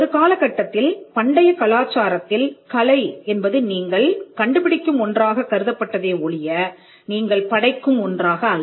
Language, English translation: Tamil, In fact, at 1 point in the ancient culture’s art was at regarded as a discovery that you make and not something which you create on your own